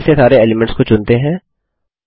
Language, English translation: Hindi, Again let us select all the elements